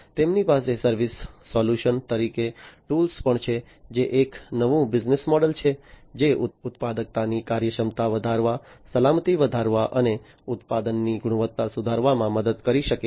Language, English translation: Gujarati, So, they also have a tools as a service solution, which is a new business model, which can help in improving the efficiency of productivity, enhancing the safety, and improving product quality